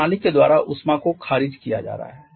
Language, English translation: Hindi, It is being rejected by the system